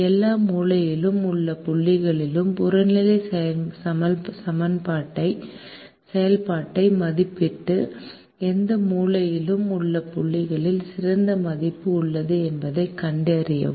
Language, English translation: Tamil, evaluate the objective function at all the corner points and find out which corner point has the best value